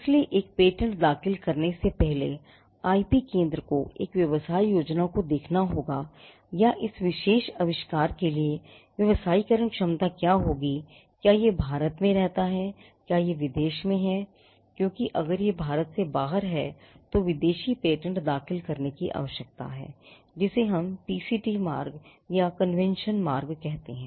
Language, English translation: Hindi, So, before filing a patent the IP centre will have to look at or draw a business plan as to what is the commercialization potential for this particular invention, whether it resides in India or whether it is abroad because if it is outside India then it would require filing foreign patents by what we call the PCT route or the convention route which again the cost of investment made before the commercialization which is what patenting caused us then that shoots up